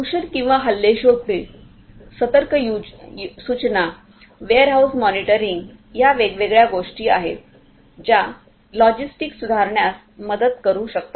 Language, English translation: Marathi, Detection of contamination or attacks, alert notification warehouse monitoring are the different different things that can help improve the logistics